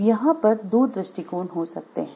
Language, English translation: Hindi, So, there could be 2 viewpoints